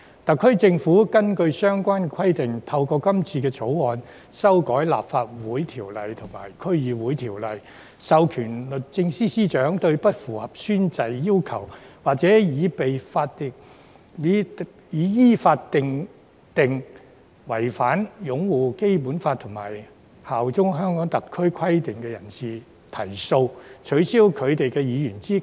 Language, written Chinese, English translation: Cantonese, "特區政府根據相關規定，透過《條例草案》修改《立法會條例》及《區議會條例》，授權律政司司長對不符合宣誓要求，或已被依法認定違反擁護《基本法》及效忠香港特區規定的人士提訴，取消其議員資格。, On the basis of these requirements the SAR Government has proposed in the Bill to amend the Legislative Council Ordinance and the District Councils Ordinance to authorize the Secretary for Justice SJ to bring proceedings against a person who fails to fulfil the oath - taking requirements or is decided in accordance with law that he or she has breached the conditions on upholding the Basic Law and bearing allegiance to HKSAR to disqualify himher